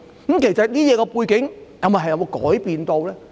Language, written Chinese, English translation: Cantonese, 當中的背景其實有否改變？, Have there been any changes in the background indeed?